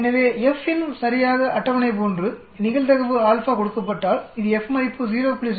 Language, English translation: Tamil, So FINV is exactly like the table, given the probability alpha it gives you the F value like 0